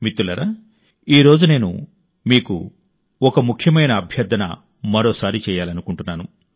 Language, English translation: Telugu, Friends, today I would like to reiterate one more request to you, and insistently at that